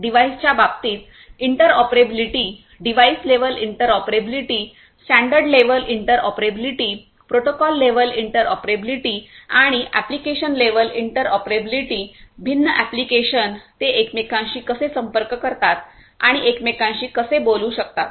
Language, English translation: Marathi, Interoperability in terms of the devices, device level interoperability, standard level interoperability, protocol level interoperability and also application level interoperability different diverse varied applications how they can hand shake and talk to each other